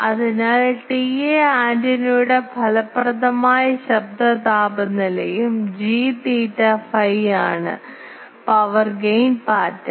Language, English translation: Malayalam, So, T A is the effective noise temperature of the antenna and G theta phi is the power gain pattern